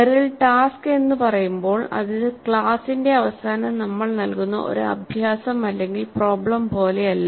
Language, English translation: Malayalam, Now when Merrill says task it is not like an exercise problem that we give at the end of the class